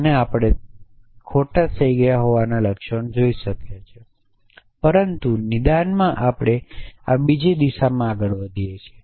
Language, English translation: Gujarati, And therefore, we can see the symptoms of, it has it having gone wrong, but in diagnosis we move in this other direction